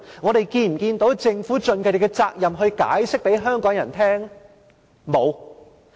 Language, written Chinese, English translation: Cantonese, 我們是否看到政府盡責任向香港人解釋？, Has the Government acted responsibly to explain to the people of Hong Kong?